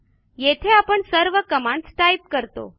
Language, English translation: Marathi, Do we have to type the entire command again